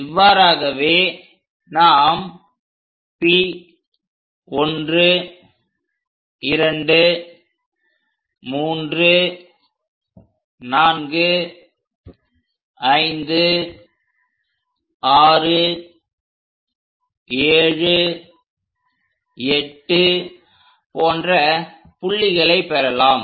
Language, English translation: Tamil, We locate points P1, 2, 3, 4, 5, 6, 7, 8